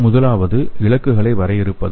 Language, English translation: Tamil, The first one is defining the targets